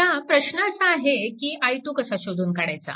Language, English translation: Marathi, So, first you have to find out what is i 1